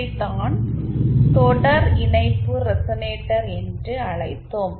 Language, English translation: Tamil, This is what we called as the series resonator